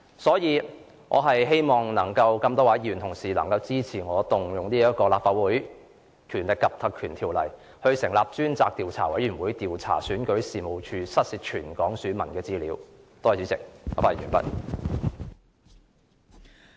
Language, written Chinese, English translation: Cantonese, 因此，我希望能有多位議員支持我援引《立法會條例》成立專責委員會，以調查選舉事務處遺失全港選民資料一事。, Hence I do hope that there will be numerous Members who support my proposal of invoking the Legislative Council Ordinance to appoint a select committee to inquire into the incident of the loss of the personal data of all registered electors in Hong Kong by the Registration and Electoral Office